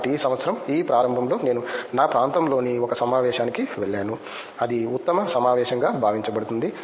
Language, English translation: Telugu, So, this beginning of this year I went to a conference in my area that is supposed to be the best conference